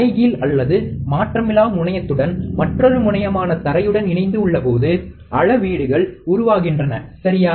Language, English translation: Tamil, The measurement occurs with respect to either the inverting or non inverting terminal with the other terminal that is the ground, alright